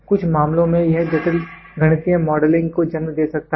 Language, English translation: Hindi, So, in some cases it may lead to complicated mathematical modelling